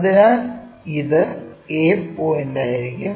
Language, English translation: Malayalam, So, this will be our a point